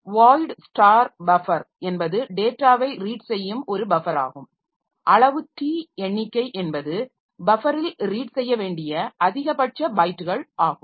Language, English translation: Tamil, Void star buffer is a buffer where the data will be read into and size t count is the maximum number of bytes to be read into the buffer